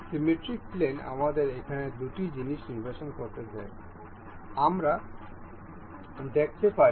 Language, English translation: Bengali, Symmetric plane allows a symmetric mate allows us to select two things over here, we can see